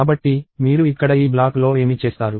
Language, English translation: Telugu, So, that is what you will do in this block here